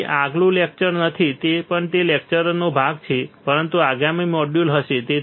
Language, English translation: Gujarati, So, this is not and this will not be next lecture it will be part of the same lecture, but a next module